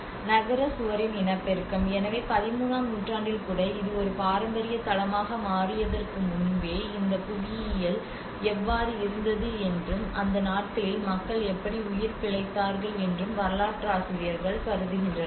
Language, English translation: Tamil, So reproduction of a city wall; so historians think that how this geography was existing even before this has become a heritage site even in 13thcentury how the ancient I mean those days how people have survived